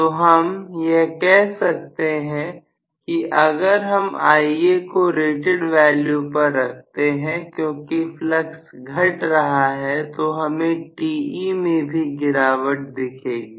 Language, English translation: Hindi, So, I can say even if Ia is kept at rated value, because flux decreases I am going to have reduction in Te